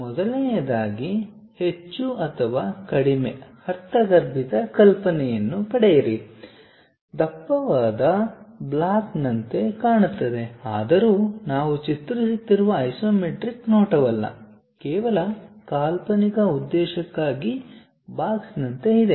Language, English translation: Kannada, First of all, get more or less the intuitive idea, looks like a thick block though its not isometric view what we are drawing, but just for imaginative purpose there is something like a box is there